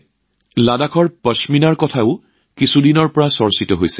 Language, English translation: Assamese, Ladakhi Pashmina is also being discussed a lot for some time now